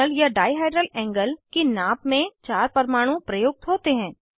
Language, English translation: Hindi, Measurement of torsional or dihedral angle involves 4 atoms